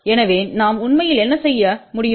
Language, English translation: Tamil, So, what we can do actually